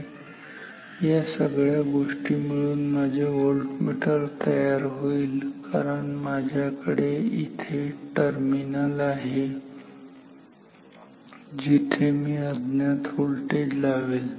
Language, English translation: Marathi, So, we will call this thing together as my voltmeter because I will have the terminals here where I will connect the unknown voltage